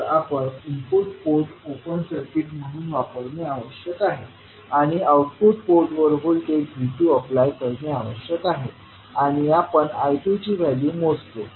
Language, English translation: Marathi, You have to keep input port as open circuit and apply voltage V2 across the output port and we measure the value of I2